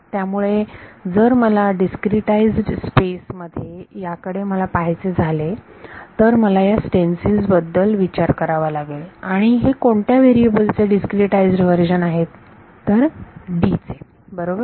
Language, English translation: Marathi, So, if I want to look at it in discretize space then I have to think of these stencils and discretized versions of which variable D right